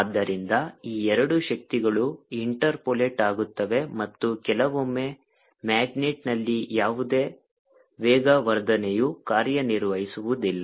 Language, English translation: Kannada, so this two forces interpolate and after sometimes the, there is ah, no acceleration acting on the magnet